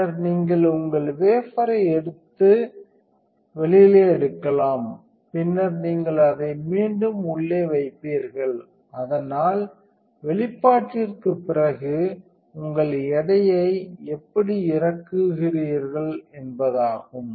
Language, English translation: Tamil, Then you can take your wafer out and then you would put it back in, so that is how you unload your weight for after exposure